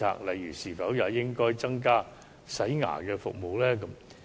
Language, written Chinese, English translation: Cantonese, 例如，是否應該增加洗牙服務呢？, For instance should dental scaling services be included?